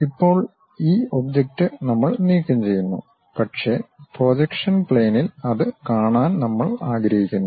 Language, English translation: Malayalam, Now, this object we remove, but we would like to really view that on the projection plane